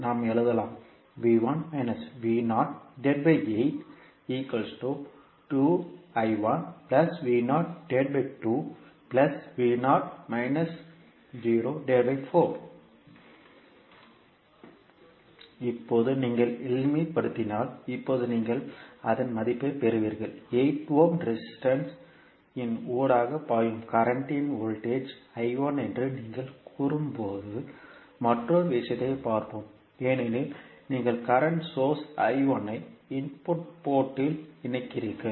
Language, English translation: Tamil, Now if you simplify, you will get the value of the now, let us see another thing when you are saying that voltage across the current flowing through 8 ohm resistance is I 1 because you are connecting the current source I 1 at the input port